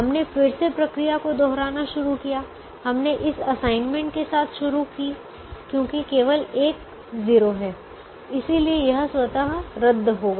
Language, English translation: Hindi, we started with this assignment because there is only zero, which therefore this got automatically cancelled